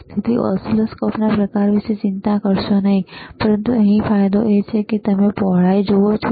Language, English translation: Gujarati, So, so do n ot worry about the about the kind of oscilloscopes, but, but the advantage here is, if I, if you can just zoom that is good